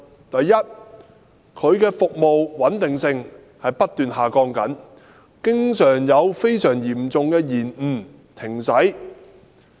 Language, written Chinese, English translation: Cantonese, 第一，港鐵服務的穩定性不斷下降，經常出現非常嚴重的延誤或停駛。, First there has been an incessant decline in the stability of MTR services as incidents causing very serious delays or service suspension have often occurred